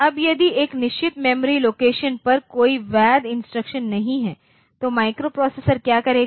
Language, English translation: Hindi, Now, if there is no valid instruction at a certain memory location then what the microprocessor will do